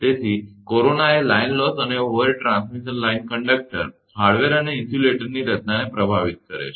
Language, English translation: Gujarati, So, corona influences the line losses and the design of overhead transmission line conductors, hardware and insulators